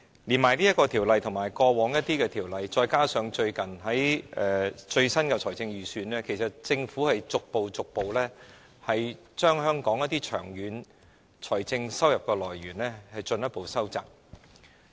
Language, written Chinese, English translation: Cantonese, 透過《條例草案》和過往一些法例，加上最新的財政預算案，政府正逐步把香港一些長遠的財政收入來源進一步收窄。, Through the Bill and some legislation enacted in the past coupled with the latest Budget the Government is gradually further narrowing some of Hong Kongs long - term revenue sources